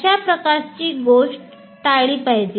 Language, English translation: Marathi, So that should be avoided